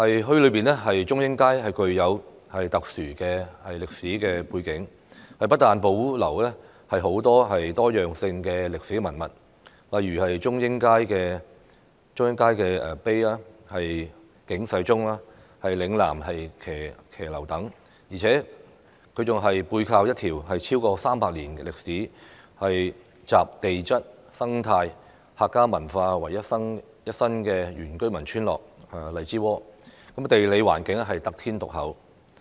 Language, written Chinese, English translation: Cantonese, 墟內的中英街具有特殊的歷史背景，不但保留具多樣性的歷史文物，例如中英街的石碑、警世鐘和嶺南騎樓等，而且，沙頭角墟更背靠一條超過300年歷史，集地質、生態、客家文化為一身的原居民村落——荔枝窩，地理環境得天獨厚。, Chung Ying Street a place with a unique historical background is located in Sha Tau Kok Town where a wide diversity of historical relics are preserved for example the boundary stones at Chung Ying Street the Warning Bell and the Lingnan - style balconies . What is more there is an indigenous village Lai Chi Wo at the back of Sha Tau Kok Town . It is a village with a history of over three centuries possessing geological and ecological features as well as Hakka culture